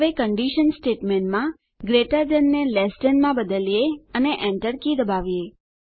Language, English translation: Gujarati, Now, in the condition statement lets change greater than to less than and press the Enter key